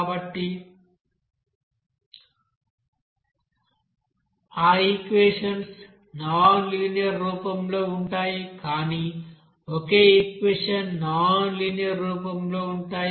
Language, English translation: Telugu, So those equations are you know that nonlinear form it may be but single equation nonlinear form